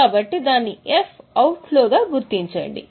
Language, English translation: Telugu, So, mark it as F out flow